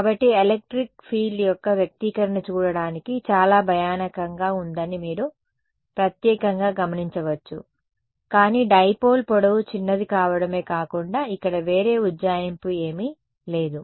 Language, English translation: Telugu, So, this is the especially you get you notice that the expression for the electric field is fairly scary looking, but this is the exact expression that is there are apart from the fact that the length of the dipole is small there is no other approximation here right